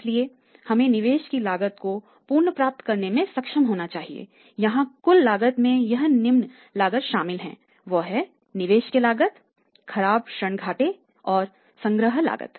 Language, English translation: Hindi, So, we should be able to recover the cost of the investment means that is a total cost including the investment cost the bad debt losses as well as the collection cost